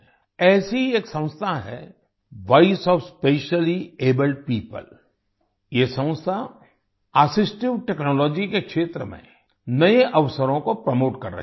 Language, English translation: Hindi, There is one such organization Voice of Specially Abled People, this organization is promoting new opportunities in the field of assistive technology